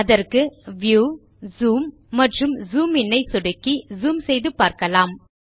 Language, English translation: Tamil, So lets zoom into the page by clicking on View Zoom and Zoom in